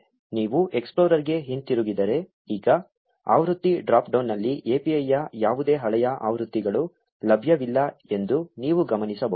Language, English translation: Kannada, If you go back to the explorer, you notice that now in the version drop down there are no old versions of the API available